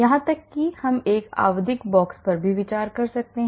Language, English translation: Hindi, Or even we could even consider a periodic box